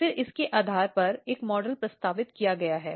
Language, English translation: Hindi, Then on the basis of this, one model has been proposed